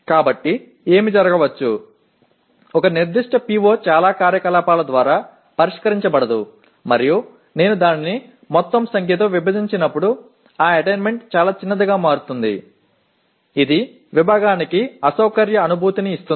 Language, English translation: Telugu, So what may happen, a particular PO that is not addressed by many activities and when I divide it by the total number, so obviously that attainment becomes much smaller which may give an uncomfortable feeling to the department